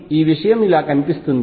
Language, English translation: Telugu, So, this thing looks like this